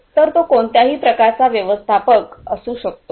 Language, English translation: Marathi, So, it could be any type of manager